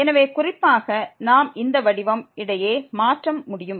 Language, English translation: Tamil, So, the point is that we can change between these form